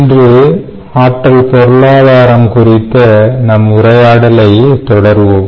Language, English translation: Tamil, ah, today we will continue our discussions on energy economics